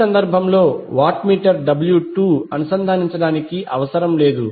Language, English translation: Telugu, That means that in this case, the watt meter W 2 is not necessary to be connected